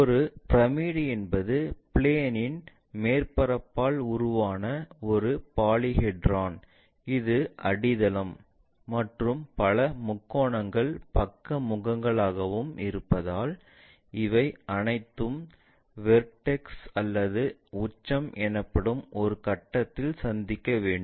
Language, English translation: Tamil, A pyramid is a polyhedra formed by plane surface as it is base and a number of triangles as it is side faces, all these should meet at a point called vertex or apex